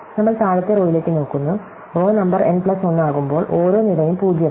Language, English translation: Malayalam, So, we looking the bottom row, when the row number is n plus 1, every column is 0